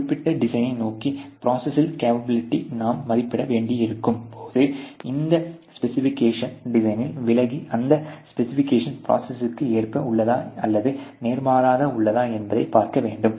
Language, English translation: Tamil, And then you when you need to estimate the capability of the process towards a certain design, you have to illustrate this specification on the design and see whether those specifications are line within the the process or visa versa